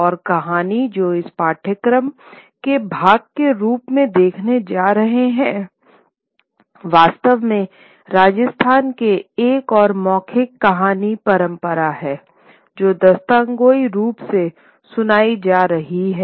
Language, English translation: Hindi, And the story that exact story that we are going to be looking at as part of this course is actually another overall storytelling tradition from Rajasthan which is being narrated in the Dastan Gaui format